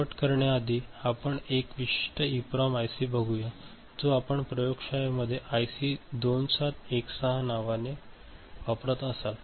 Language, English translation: Marathi, To end just we look at one particular EPROM IC which you might be using in the lab which is IC 2716